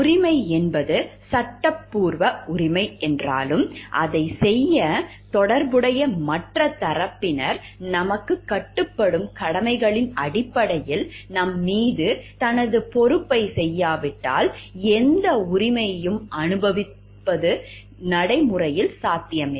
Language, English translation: Tamil, Though right is a legal entitlement to have or to do something, it is practically not possible to enjoy any right if the corresponding other party, who is connected to do us is not carrying out his or her responsibility towards us, in terms of like the duties that binds both of us together